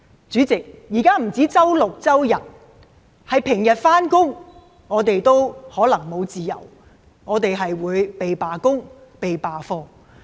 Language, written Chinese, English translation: Cantonese, 主席，現在不只是周六、周日，連平日的上班時間，我們都可能沒有自由，我們會"被罷工"、"被罷課"。, President chaos will not only break out on Saturdays and Sundays we even lose freedom even on weekdays . We are forced to go on strike or boycott classes